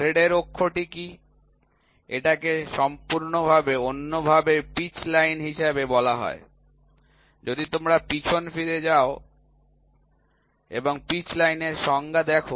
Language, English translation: Bengali, What is the axis of the thread, it is otherwise called as the pitch line, if you go back and see the definition pitch line